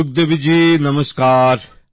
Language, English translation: Bengali, Sukhdevi ji Namaste